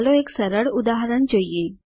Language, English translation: Gujarati, Let us go through a simple example